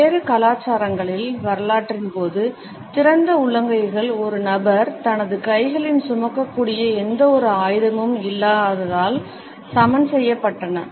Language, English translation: Tamil, Over the course of history in different cultures, open palms were equated with the absence of any weapon which a person might be carrying in his hands